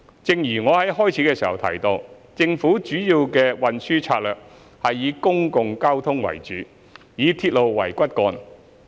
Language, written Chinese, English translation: Cantonese, 正如我在開首時提到，政府主要的運輸政策是以公共交通為主，以鐵路為骨幹。, As I mentioned in the beginning the essence of the Governments policy is to develop a transportation system with public transport as the core and railways as the backbone